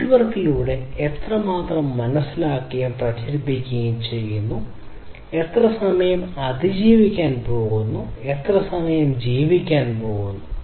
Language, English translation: Malayalam, How much the data that has been sensed and is being circulated through the network, how much time it is going to survive, how much time it is going to live